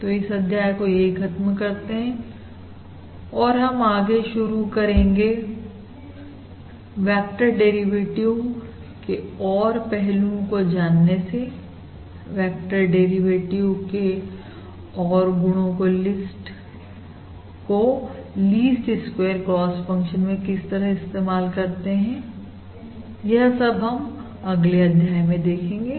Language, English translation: Hindi, So let us stop this module over here and we will continue with other aspects of this vector derivative, that is, other properties of vector derivative and applying this vector derivative to the lease squares cost function itself in the next module